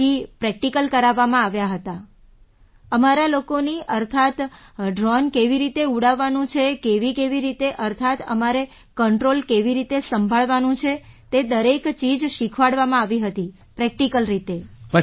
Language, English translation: Gujarati, Then practical was conducted, that is, how to fly the drone, how to handle the controls, everything was taught in practical mode